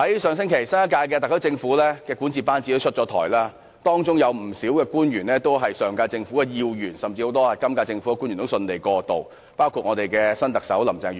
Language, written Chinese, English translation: Cantonese, 上星期，新一屆特區政府的管治班子出台，當中不少官員都是本屆政府的要員，很多政府官員均能順利過渡，包括新特首林鄭月娥。, Last week appointments to the governing team of the new SAR Government were announced . Many of the appointees are key officials of the current Government . Among the many government officials who have successfully transferred to the new Government is the incoming Chief Executive Carrie LAM